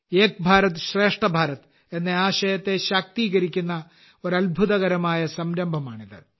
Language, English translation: Malayalam, This is a wonderful initiative which empowers the spirit of 'Ek BharatShreshtha Bharat'